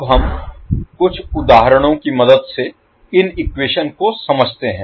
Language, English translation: Hindi, Now, let us understand these particular equations with the help of few examples